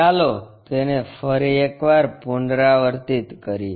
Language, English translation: Gujarati, Let us repeat it once again